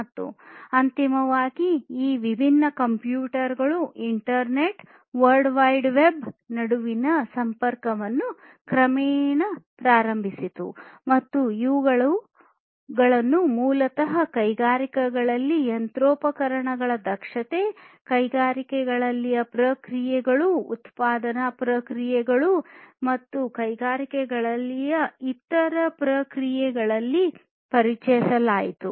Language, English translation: Kannada, And eventually the connectivity between these different computers, internet, world wide web all of these basically gradually, gradually started, and these basically were introduced in the industries to improve the efficiency of the machinery, improve the efficiency of the processes in the industries, manufacturing processes and other processes in the industries and so on